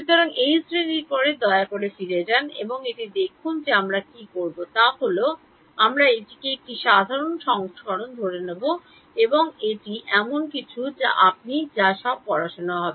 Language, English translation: Bengali, So, after this class please go back and have a look at it what we will do is we will assume a simple version of that and it is something which you will all have studied